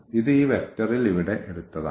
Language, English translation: Malayalam, 5 this is taken here in this vector